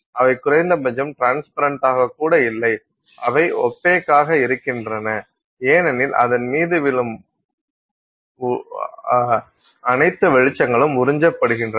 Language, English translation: Tamil, They are not transparent at least they are opaque because all the light that falls on it gets absorbed